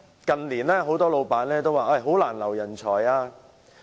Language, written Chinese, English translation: Cantonese, 近年很多老闆表示難以挽留人才。, In recent years many employers have claimed that it is difficult to retain talents